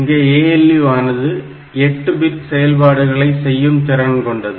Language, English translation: Tamil, And this ALU it does operations in 8 bit, 8 in in terms of 8 bits